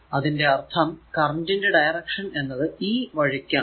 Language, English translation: Malayalam, And this your current direction is this way